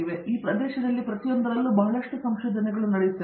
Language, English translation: Kannada, So in each of these areas there is lot of research which goes out